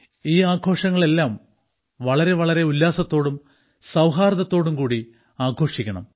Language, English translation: Malayalam, Celebrate these festivals with great gaiety and harmony